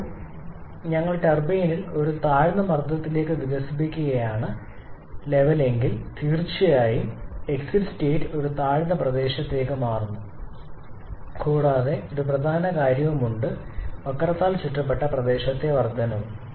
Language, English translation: Malayalam, Now once we are expanding in the turbine to a lower pressure level then definitely the exit state is getting shifted to a lower point and there is a significant increase in the area that has been enclosed by the curve